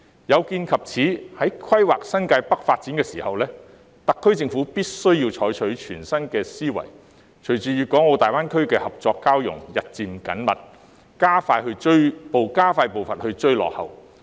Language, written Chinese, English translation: Cantonese, 有見及此，在規劃新界北發展時，特區政府必須採用全新思維，隨着粤港澳大灣區的合作交融日漸緊密，加快步伐追趕。, In view of the above the SAR Government must adopt an innovative mindset in planning the development of New Territories North and grasp the growing opportunities for cooperation in GBA to catch up